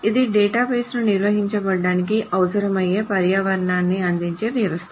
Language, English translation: Telugu, It is a system that provides an environment to handle a database